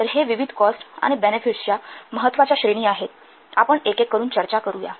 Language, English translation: Marathi, So these are the important categories of different cost and benefits